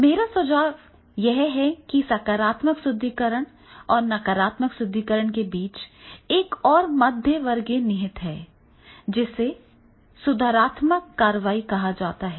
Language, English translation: Hindi, My suggestion is that is between the positive reinforcement and negative reinforcement, there is one more reinforcement and that is the corrective action